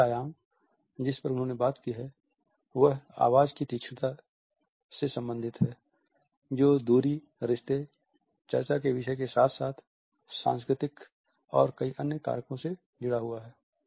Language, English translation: Hindi, The last dimension he has talked about is related with the loudness of voice which is conditioned by the distance, the relationship, the subject under discussion as well as the culture and several other factors